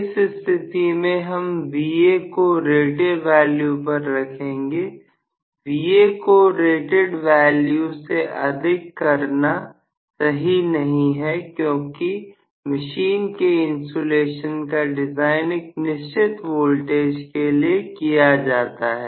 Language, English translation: Hindi, In this case I am going to have actually Va frozen at rated value, it is not good to increase Va beyond rated value because the insulation are designed for a particular value of voltage